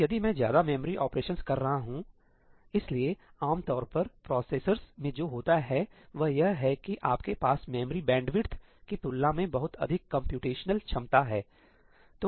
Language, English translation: Hindi, So, if I am doing more memory operations ñ typically what happens in processors is that you have much more computational capability than you have memory bandwidth